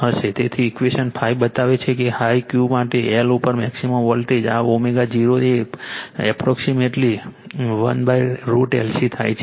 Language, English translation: Gujarati, So, equation 5 shows that for a high Q the maximum voltage your across L occurs at your this omega 0 approximately 1 upon root over L C